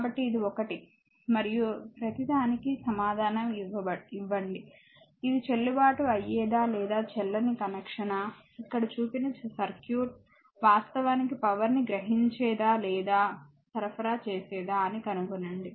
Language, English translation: Telugu, So, this is one then and answer for everything, this is a valid or invalid connection it is actually circuit inside the box absorbing or supplying power right